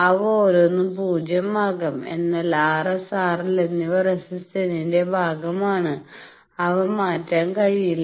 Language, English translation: Malayalam, So, each of them can be zero, but R S R L they are the resistive part now they are fixed they cannot be changed